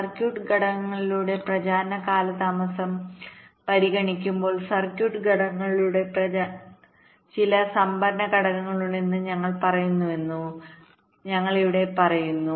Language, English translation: Malayalam, so what we discussed when we discussed the clocking there, we said that when we consider propagation delays through circuit components, like when we say propagation delay through circuit components, we are saying that there are some storage elements